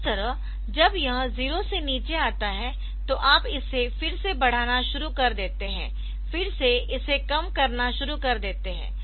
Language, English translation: Hindi, So, when it comes down to 0 again you start implementing it again you start decrementing it